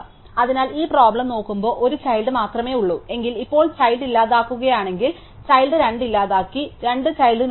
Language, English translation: Malayalam, So, if there is only one child in this no problem, now what if the child delete, child is 2 deleted node as 2 children